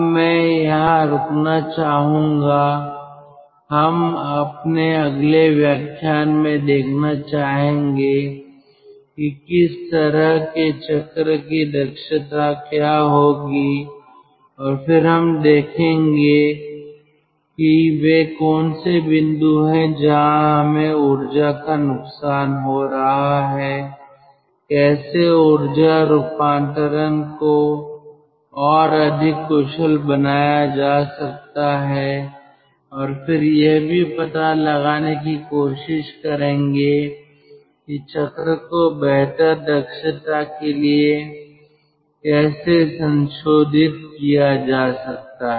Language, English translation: Hindi, now, ah, i like to stop over here, and in the next class, ah, in the next lecture, i like to see or we, we, we would see what will be the efficiency of such a cycle and then we will see what are the points where we are having loss of energy, how ah energy conversion can be made more efficient and then how the cycle can be modified to have better efficiency